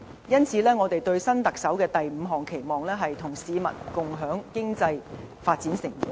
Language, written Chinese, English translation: Cantonese, 因此，我們對新特首的第五項期望，是"與市民共享經濟發展成果"。, Therefore our fifth expectation for the next Chief Executive is to share the fruit of economic development with the people